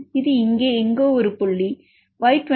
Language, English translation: Tamil, This is one point somewhere here, Y26Q: 2